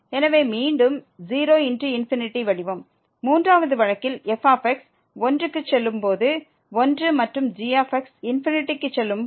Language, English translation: Tamil, So, again 0 into infinity form in the 3rd case when goes to 1 when goes to 1 and goes to infinity